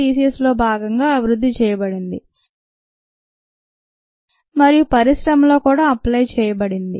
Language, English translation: Telugu, it was developed as a part of species and was also applied in the industry